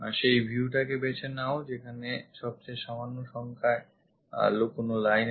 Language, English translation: Bengali, Choose the view that has fewest number of hidden lines